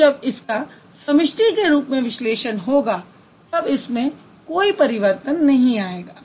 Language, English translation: Hindi, And when you analyze it as a whole, there hasn't been any change